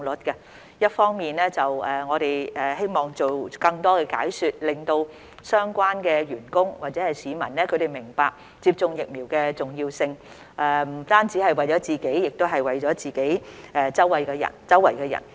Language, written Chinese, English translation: Cantonese, 一方面，我們希望做更多解說，令相關的員工或市民明白接種疫苗的重要性不單只是為了自己，亦是為了身邊人。, On the other hand we hope that by providing more explanations the relevant staff or members of the public will understand that it is important to receive vaccination not merely for their own sake but also for the sake of people around them